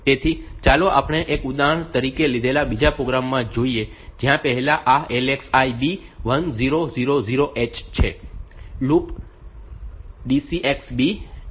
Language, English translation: Gujarati, So, let us look into the other program that we have taken as an example, where first this LXI B 1000 hex